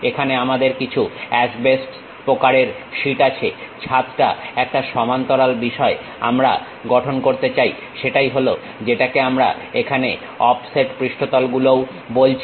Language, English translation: Bengali, Here, we have some asbestos kind of sheet, the roof a parallel thing we would like to construct, that is what we call offset surfaces here also